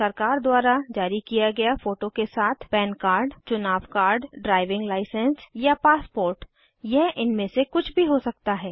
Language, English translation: Hindi, Any government issued card with photo it could be an Pan card Election card Driving license or a passport it could be any of these